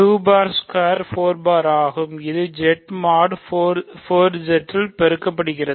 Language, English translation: Tamil, So, 2 bar squared is 2 squared bar, right, this is how we multiply in Z mod 4Z